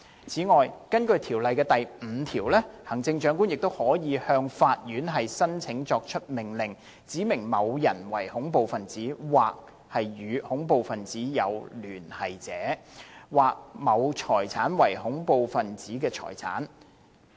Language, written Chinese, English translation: Cantonese, 此外，根據《條例》第5條，行政長官亦可向法院申請作出命令，指明某人為恐怖分子或與恐怖分子有聯繫者，或某財產為恐怖分子財產。, In addition according to section 5 of the Ordinance the Chief Executive may apply to the court for an order to specify a person as a terrorist or terrorist associate or a property as terrorist property